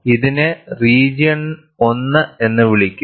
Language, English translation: Malayalam, This could be called as region 1